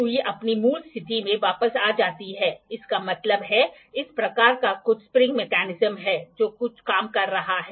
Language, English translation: Hindi, The needle comes back to the original position; that means, thus it is some spring mechanism that is working in